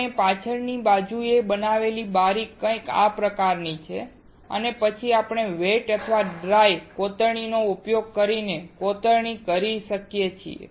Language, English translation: Gujarati, The window that we created in the backside is something like this and then we can we can etch using wet or dry etching